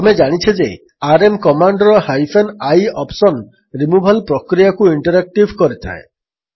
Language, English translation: Odia, We know that hyphen i option of the rm command makes the removal process interactive